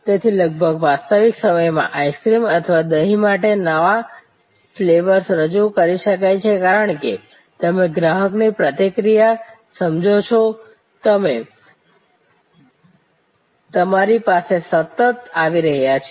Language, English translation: Gujarati, So, new flavors can be introduced for ice cream or yogurt, almost in real time as you understand the customer reaction coming to you continuously